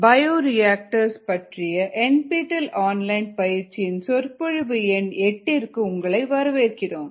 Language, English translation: Tamil, welcome to lecture number eight ah, an online, the nptel online certification course on bioreactors